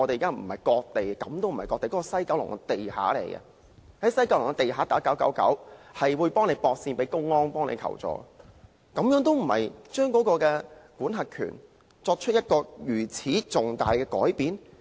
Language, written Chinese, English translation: Cantonese, 該位置根本就是西九龍地底，如果在該處致電999後，竟然會被接線到公安求助，這還不是把管轄權作出了重大改變嗎？, The place is located in the basement of West Kowloon Station but when a citizen calls 999 there the call will be transferred to the public security authorities